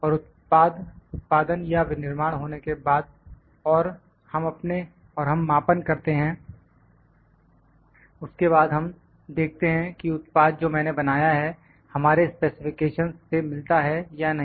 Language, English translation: Hindi, And after the production is done or the manufacturing is done and we do the measurements after that then we see that whether the product, which I have produced meet our specifications or not